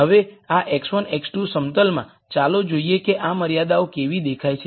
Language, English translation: Gujarati, Now in this x 1 x 2 plane, let us look at how these constraints look